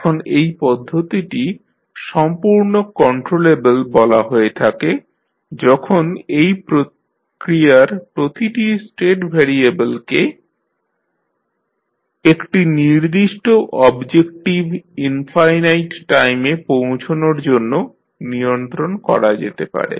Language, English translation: Bengali, Now, the process is said to be completely controllable if every state variable of the process can be controlled to reach a certain objective infinite times